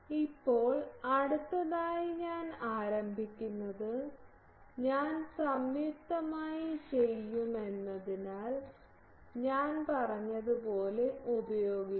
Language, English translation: Malayalam, Now, next I start I will use that as I said that since I will jointly do